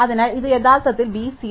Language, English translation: Malayalam, So, this would actually be 0